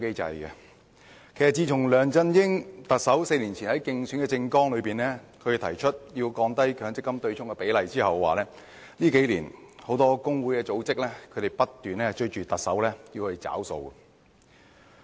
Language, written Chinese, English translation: Cantonese, 自從特首梁振英4年前在競選政綱中提出降低強積金對沖比例之後，很多工會組織數年來不斷要求特首"找數"。, After Chief Executive LEUNG Chun - ying proposed to reduce the proportion of the offsetting amount in his election manifesto four years ago many labour unions or organizations have over the past few years repeatedly urged the Chief Executive to honour his promise